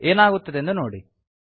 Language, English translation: Kannada, See what happens